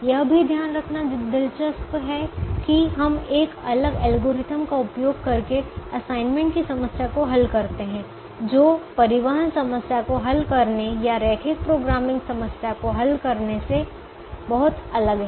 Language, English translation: Hindi, it is also interesting to note that we solve the assignment problem using a different algorithm which is very different from solving a transportation problem or solving a linear programming problem